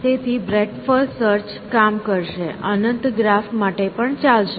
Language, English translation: Gujarati, So, breath first search will become will work, even for infinite graph